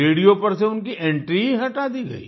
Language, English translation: Hindi, His entry on the radio was done away with